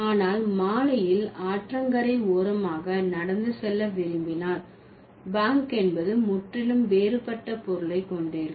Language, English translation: Tamil, But if you want to take a walk in the evening by the river side, bank will have a different meaning altogether